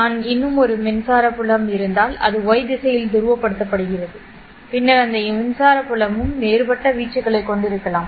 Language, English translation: Tamil, If I had one more electric field which is polarized along the Y direction, then that electric field can also have a different amplitude